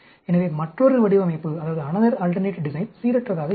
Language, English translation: Tamil, So, another alternate will be randomize design